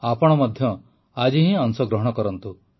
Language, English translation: Odia, You too participate today itself